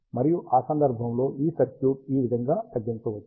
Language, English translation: Telugu, And in that case, this circuit can be reduced to this